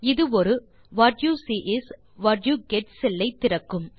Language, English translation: Tamil, This creates a What You See Is What You Get cell